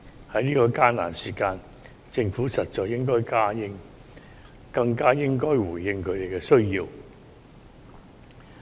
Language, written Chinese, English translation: Cantonese, 在這艱難時刻，政府實在更應回應他們的需要。, The Government should all the more respond to their needs at this difficult time